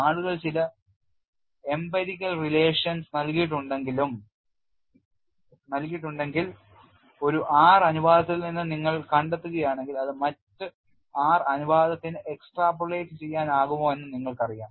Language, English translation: Malayalam, You know if people have given some empirical relation, if you find out from one R ratio whether it could be extrapolated for other r ratios